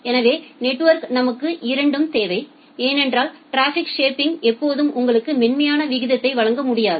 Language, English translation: Tamil, So, we require both in the network because see traffic shaping can may not always be able to give you a smoother rate